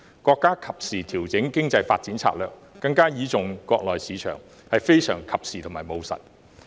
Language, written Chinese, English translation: Cantonese, 國家及時調整經濟發展策略，改為更倚重國內市場，是非常及時和務實的處理方法。, It is timely and pragmatic for the country to revise its strategy on economic development by relying more on the domestic market